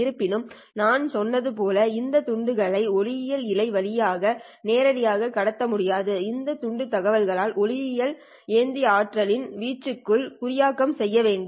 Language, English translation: Tamil, However, these bits as I said cannot be directly transmitted over the optical fibre in order to transmit them you have to encode this bit information onto the amplitude or the power of the optical carrier